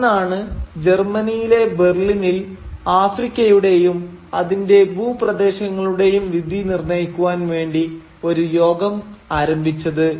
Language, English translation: Malayalam, Well on this date a conference started in Berlin, Germany and this conference was organised to decide the fate of the Africans and their territories